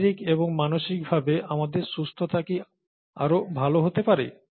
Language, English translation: Bengali, Can our wellness, both physical and mental be better